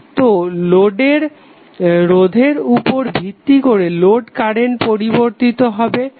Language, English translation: Bengali, So based on the resistance of the load your load current will keep on changing